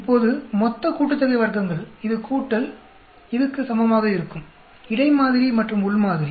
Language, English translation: Tamil, Now, total sum of squares is also equal to this plus this between sample and within sample